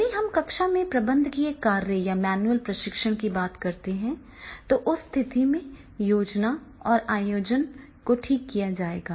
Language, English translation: Hindi, If we talk about these managerial functions in the classroom or the manual training, then in that case definitely the planning and organizing that is that will be fixed